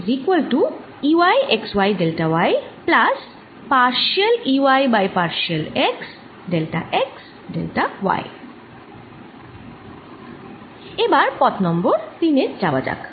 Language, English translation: Bengali, now let's go for to path number three